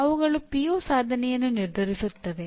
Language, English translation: Kannada, They will determine the PO attainment